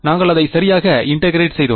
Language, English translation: Tamil, We integrated it right